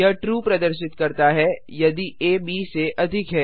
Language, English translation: Hindi, It returns True if a is greater than b